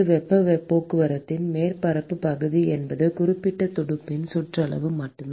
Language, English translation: Tamil, surface area for heat transport is simply the perimeter of that particular fin